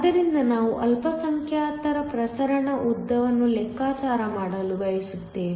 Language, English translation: Kannada, So, We want to calculate the minority diffusion lengths